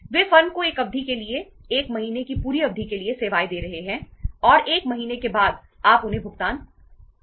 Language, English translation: Hindi, They are giving a services to the firm for a period, complete period of 1 month and after 1 month you have to make the payment to them